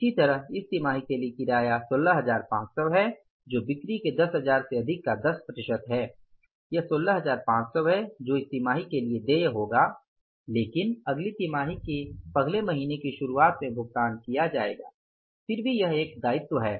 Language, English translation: Hindi, Similarly for this quarter, the rent 16,500 which is 10% of above the 10,000 of the sales is 16,500 that will be due for this quarter but will be paid in the beginning of the first month of the next quarter